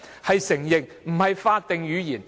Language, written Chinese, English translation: Cantonese, 就是承認，而非法定語言。, It is just about recognition and different from a statutory language